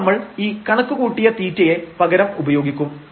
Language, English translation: Malayalam, So, now we will substitute this phi which we have computed